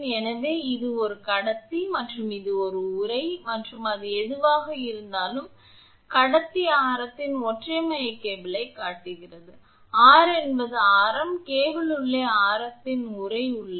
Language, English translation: Tamil, So, this is a conductor and this is a sheath and whatever it is, shows a single core cable of conductor radius r it is radius is r, the cable has a sheath of inside radius r